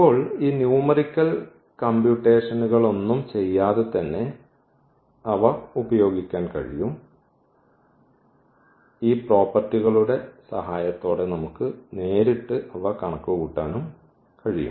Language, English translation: Malayalam, And now they can be used now without doing all these numerical calculations we can compute directly also with the help of these properties